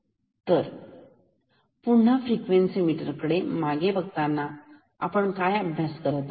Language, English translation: Marathi, So, going back to frequency meter this is what we are studying now